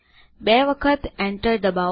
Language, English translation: Gujarati, Press enter twice